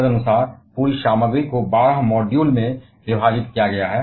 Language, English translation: Hindi, Accordingly, the entire content has been divided in to twelve modules